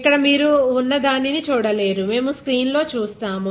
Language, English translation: Telugu, Here you will not be able to see what is there, we will see in the screen ok